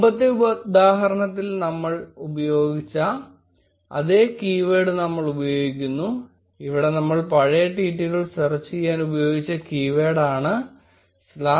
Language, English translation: Malayalam, We will use the same keyword, which we used before in the previous example, where we were searching for past tweets made using the keyword #elections2016